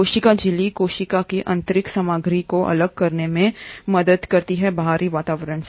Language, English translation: Hindi, The cell membrane helps in segregating the internal content of the cell from the outer environment